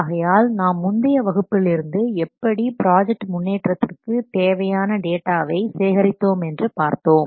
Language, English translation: Tamil, So we have seen last class how to collect the data about the progress of a project